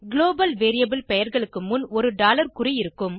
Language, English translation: Tamil, Global variable names are prefixed with a dollar sign ($)